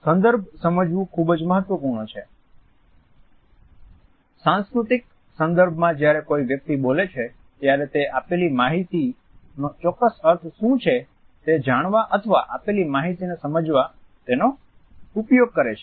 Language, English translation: Gujarati, It is very important to understand the context, the cultural context in which a person is speaking to find out what exactly are the connotations of given information or to understand the ways in which the given information has to be decoded